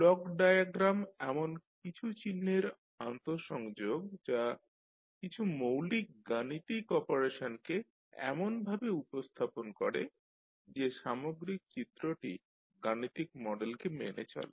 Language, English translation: Bengali, So Block diagram is an interconnection of symbols representing certain basic mathematical operations in such a way that the overall diagram obeys the systems mathematical model